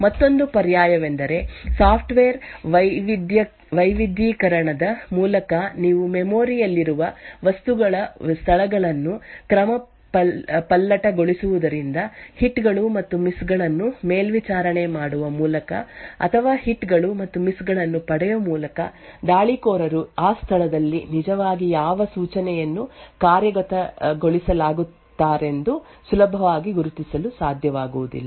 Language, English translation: Kannada, Another alternative is by software diversification where you permute the locations of objects in memory so that by monitoring the hits and misses or by obtaining the hits and misses, the attacker will not be easily able to identify what instruction was actually being executed at that location, thank you